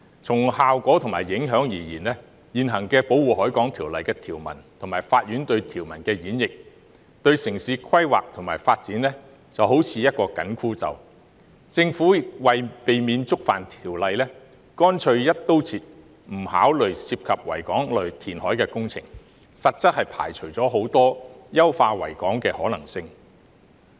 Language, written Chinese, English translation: Cantonese, 從效果和影響而言，《條例》的現行條文及法院對條文的演譯，對城市規劃及發展來說便好像一個緊箍咒，政府為了避免觸犯《條例》，乾脆"一刀切"，不考慮涉及維港的填海工程，實質上排除了很多優化維港的可能性。, In terms of effect and impact the current provisions of the Ordinance and the Courts interpretation of such provisions are like a straitjacket on urban planning and development . To avoid contravening the Ordinance the Government has simply adopted a broad - brush approach giving no consideration to reclamation works involving the Victoria Harbour which in effect has ruled out many possibilities of enhancing the Victoria Harbour